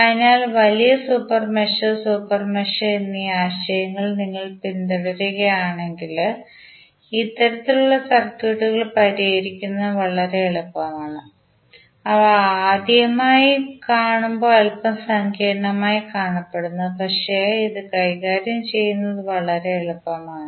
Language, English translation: Malayalam, So, if you follow the concept of larger super mesh and the super mesh it is very easy to solve these kind of circuits which looks little bit complicated when you see them for first time but it is very easy to handle it